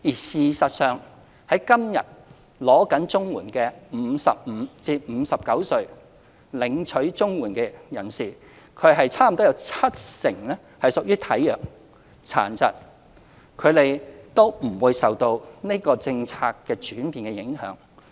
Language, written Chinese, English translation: Cantonese, 事實上，現時正領取綜援的55至59歲人士中，差不多有七成屬於體弱、殘疾，他們都不受這項政策轉變影響。, In fact among the existing CSSA recipients aged between 55 and 59 nearly 70 % of them are in ill health or with disabilities and they will not be affected by the policy change